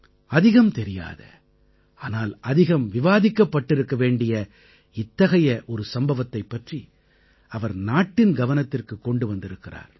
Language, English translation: Tamil, He has brought to the notice of the country an incident about which not as much discussion happened as should have been done